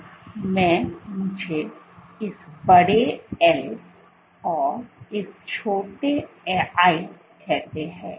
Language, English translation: Hindi, So, in the, let me call this big “L” and call this small “l”